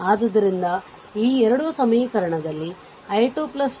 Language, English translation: Kannada, So, these 2 equation this is one equation i 2 plus 5 is equal to 2